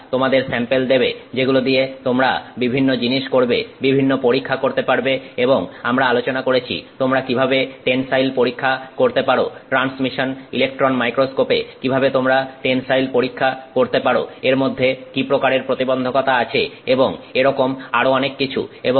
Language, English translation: Bengali, They give you samples with which you can do a variety of different things, different tests and you can we saw spoke about how you could do a tensile test, how you could do the tensile test in a transmission electron microscope, the kinds of challenges that are involved in it and so on